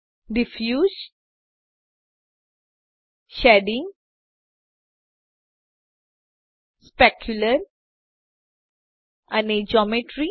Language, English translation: Gujarati, Diffuse, Shading, Specular and Geometry